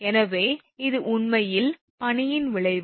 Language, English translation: Tamil, So, this is actually the effect of the ice